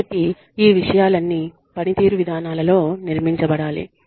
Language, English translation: Telugu, So, all of these things should be built, into the performance policies